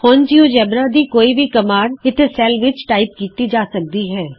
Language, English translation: Punjabi, Now any command from the geogebra can be typed in a cell here